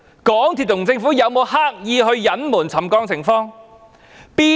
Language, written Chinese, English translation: Cantonese, 港鐵公司和政府有沒有刻意隱瞞沉降情況？, Did MTRCL and the Government deliberately cover up the situation of settlement?